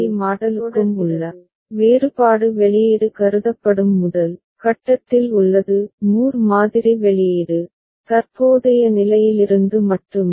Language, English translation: Tamil, And difference between Moore model and Mealy model is in the first step where output is considered; Moore model output is only from the current state